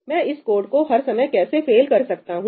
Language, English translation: Hindi, how can I make this code fail every time